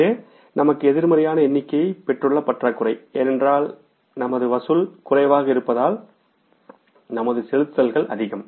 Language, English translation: Tamil, This is the deficit we have got a negative figure here because our collections are less, our payments are more